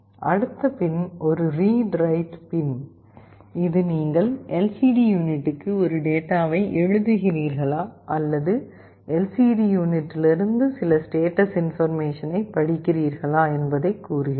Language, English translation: Tamil, The next pin is a read/write pin, this tells you whether you are writing a data to the LCD unit or you are reading some status information from the LCD unit